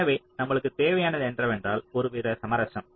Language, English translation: Tamil, so what we need is some kind of a compromise